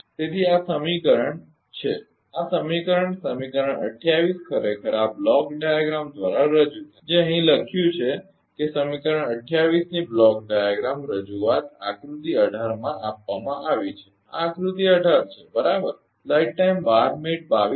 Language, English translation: Gujarati, So, this is this this equation this equation equation 28 actually is represented by this ah block diagram that is written here that block diagram representation of equation 20 is given in figure 18 this is figure 18 , right